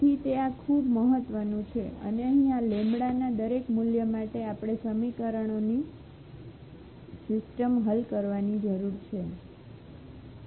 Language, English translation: Gujarati, So, it is very important now and here for each value of this lambda we need to solve the system of equations